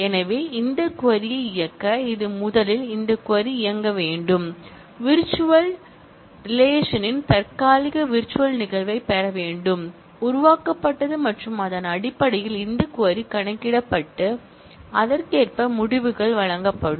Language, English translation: Tamil, So, to execute this query, it will have to first execute this query, get the temporary virtual instance of the virtual relation, created and based on that, this query will be computed and the results will be given accordingly